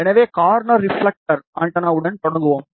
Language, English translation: Tamil, So, we will start with corner reflector antenna